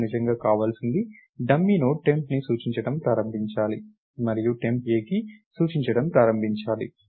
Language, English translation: Telugu, What I really want is the dummy Node should start pointing to temp and temp should start pointing to A